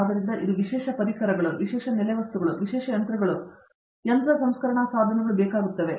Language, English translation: Kannada, So, that requires that may require special tools, special fixtures, special machines, special machining processors and so on